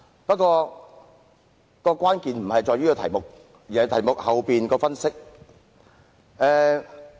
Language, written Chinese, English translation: Cantonese, 但是，關鍵並非在於題目，而是題目背後的分析。, That said what is important is not the subject but the analyses pertaining to the subject